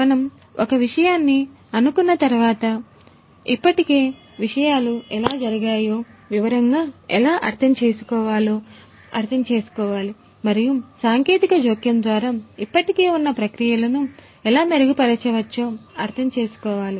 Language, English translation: Telugu, So, once we have fix the subject, we need to really understand how understand in detail how the things are already taken place and then through the technological intervention how the existing processes can be improved